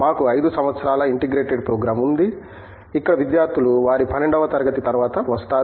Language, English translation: Telugu, We have a 5 years integrated program, where students come after their 12th grade